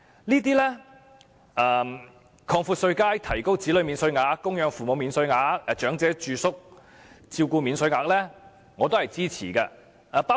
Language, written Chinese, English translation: Cantonese, 對於擴闊稅階以及增加子女免稅額、供養父母免稅額和長者住宿照顧開支的扣除上限等措施，我都是支持的。, I support the proposals to widen the tax bands and increase the child allowance dependent parent allowance and the deduction ceiling for elderly residential care expenses